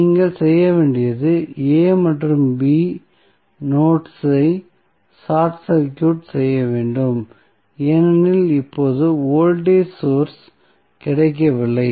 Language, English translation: Tamil, So, what you have to do you have to simply short circuit the notes A and B because now voltage source is not available